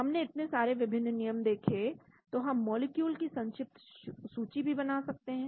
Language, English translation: Hindi, We looked at so many different rules, so we can also shortlist molecule